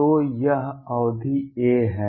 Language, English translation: Hindi, So, this is the period a